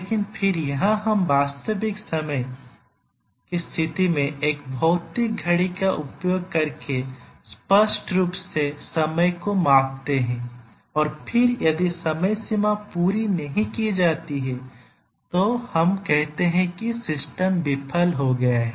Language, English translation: Hindi, But then here we measure the time explicitly using a physical clock in a real time situation and then if the time bounds are not met, we say that the system has failed